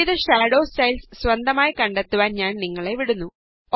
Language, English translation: Malayalam, I will leave you to explore the various Shadow styles, on your own